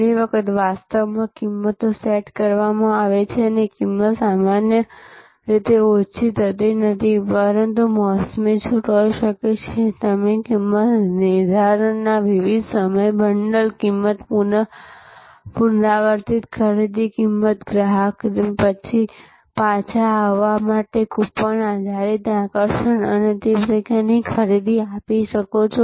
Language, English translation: Gujarati, Price often actually a prices set and price is not normally reduced, but there can be seasonal discounts, you can give different times of pricing incentives, bundle pricing, repeat purchase pricing, coupon based attraction to the customer to come back and a purchase that sort of price adjustment strategies can be there